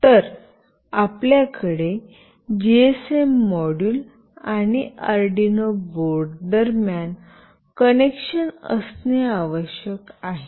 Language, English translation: Marathi, So, you must have a connection between the GSM module and the Arduino board